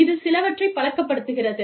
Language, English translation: Tamil, And, it takes some, getting used to